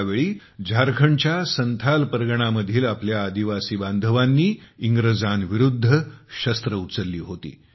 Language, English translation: Marathi, Then, in Santhal Pargana of Jharkhand, our tribal brothers and sisters took up arms against the foreign rulers